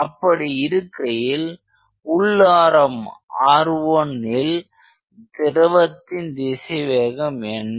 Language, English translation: Tamil, So, at the inner radius that is at r 1 what is the velocity